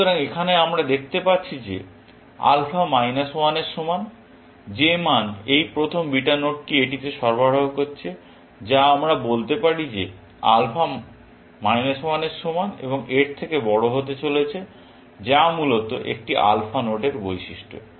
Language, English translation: Bengali, So, here we can see that alpha is equal to minus 1; that is the value this first beta node is supplying to it, which we can read as saying that alpha is going to be greater than equal to minus 1, which is the characteristics of an alpha node, essentially